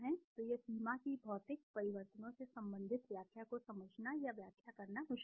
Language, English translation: Hindi, So this limitation that the interpretation relating to physical changes is difficult to understand or to interpret